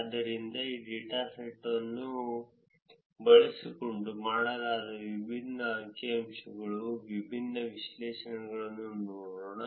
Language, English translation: Kannada, So, let us look at different figures, different analysis that is been done using this data